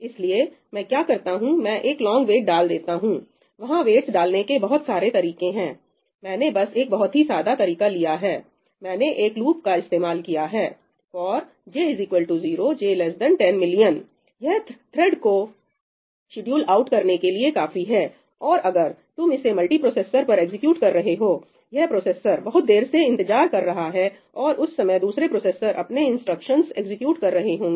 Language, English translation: Hindi, There are various ways of introducing waits; I have just picked one very simple way, I have introduced a loop ñ ëfor j equal to 0, j less than 10 millioní , this is enough for the thread to get scheduled out or if you are executing this on a multiprocessor, this processor is waiting for a long period of time and during that time other processors will execute their instructions, right